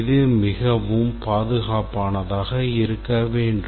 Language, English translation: Tamil, It should be extremely secure, etc